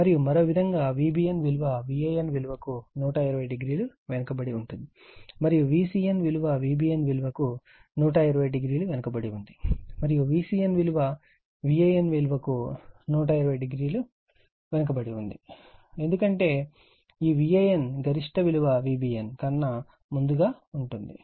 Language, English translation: Telugu, And other way V b n is lagging from V a n by 120 degree, and V c n is lagging from V b n by 120 degree, and V c n is lagging from V n from V n by 240 degree, because this V n is reaching it is peak fast than V b n right